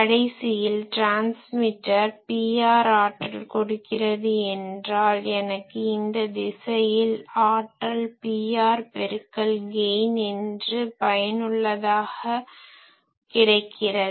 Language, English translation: Tamil, So, ultimately if this transmitter is giving me power Pr then I am getting a power from here in this direction effectively as Pr into G